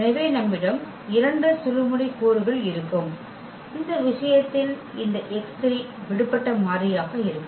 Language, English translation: Tamil, So, you will have 2 pivot elements and this x 3 will be the free variable in this case